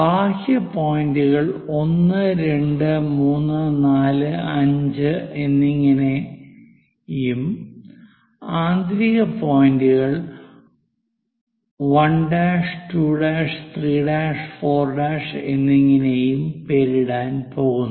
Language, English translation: Malayalam, The outer ones we are going to name it as 1, 2, 3, 4, 5; inner ones we are going to name it like 1 dash, 2 dash, 3 dash, 4 dash and so on